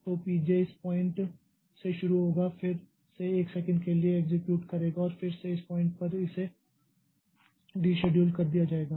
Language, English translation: Hindi, J will start from this point again execute for one second and again it will be deciduled at this point